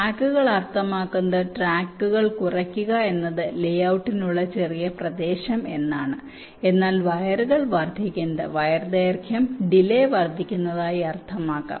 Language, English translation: Malayalam, shorter tracks do mean that reducing tracks means shorter area for layout, but increasing wires wire length may mean and increase in delay